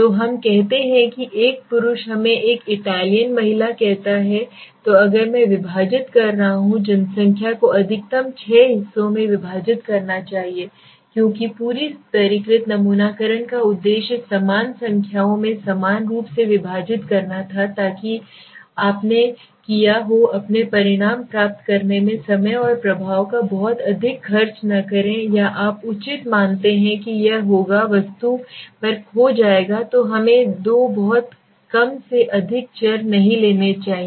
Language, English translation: Hindi, So let us say a male let us say a Italian female so what I am doing is if I am dividing the population I should divide the population maximum up to six strata s because the whole objective of the stratified sampling was to equally divide into the equal numbers so that you did not have the spend too much of time and effect in getting your results or you know proper finalists so that it is it will be at the object will be lost so let us not take more than two very few variables